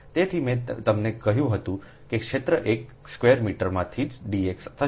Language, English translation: Gujarati, so i told you that area will be d x into one square meter